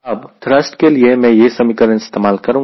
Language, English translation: Hindi, now for thrust, i use this expression for thrust